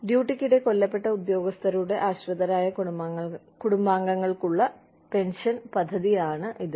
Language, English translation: Malayalam, Is a pension schemes, for surviving dependent family members of the personnel, killed in the line of duty